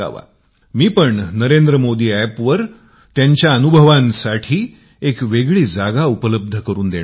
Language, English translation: Marathi, I too am making a separate arrangement for their experiences on the Narendra Modi App to ensure that you can read it